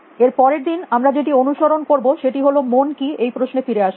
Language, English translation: Bengali, And the next that we will followed is come back to this question about, what are minds